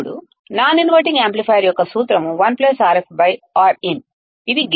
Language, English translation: Telugu, Now, what is the formula for non inverting amplifier is 1 plus Rf by Rin, this is the gain